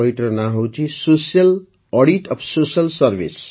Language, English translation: Odia, The name of the book is Social Audit of Social Service